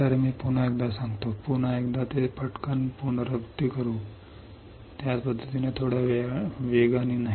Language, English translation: Marathi, So, let me once again repeat it let me once again quickly repeat it, not in the same fashion little bit faster right